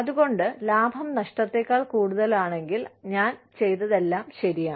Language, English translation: Malayalam, So, if the profit is more than the loss, whatever I have done is, all right